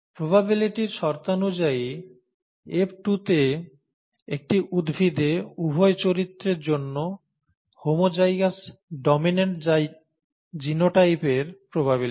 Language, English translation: Bengali, In terms of probabilities; probability for a plant in F2 with homozygous dominant genotype for both characters